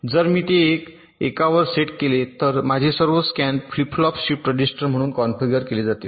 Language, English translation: Marathi, so if i set it to one, then all my scan flip flops will be configured as a shift register